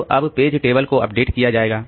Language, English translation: Hindi, So, now my page table has to be updated